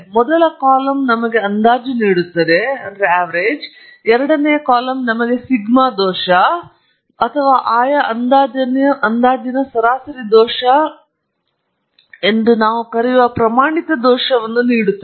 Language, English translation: Kannada, The first column gives us the estimates; the second column gives us the standard error as we call one sigma error or the average error in the respective estimates